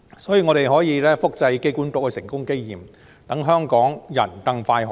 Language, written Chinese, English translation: Cantonese, 所以，我們可以複製機管局的成功經驗，讓香港人可以更快"上樓"。, Hence we can replicate the example of success of AA so that Hong Kong people can be allocated a flat as soon as possible